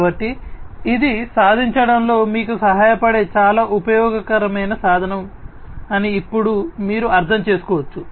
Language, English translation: Telugu, So, now you can understand that this is a very useful tool that can help you achieve it